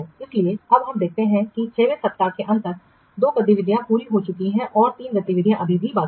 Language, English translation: Hindi, So now we have observed that by the end of week six, two activities have been completed and the three activities are still unfinished